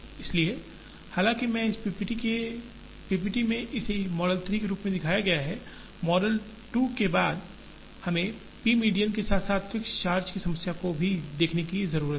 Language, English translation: Hindi, So, though I have shown this as model 3 in this PPT, after the model 2, we need to look at the p median as well as the fixed charge problem